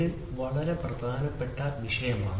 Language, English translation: Malayalam, This is a very very important subject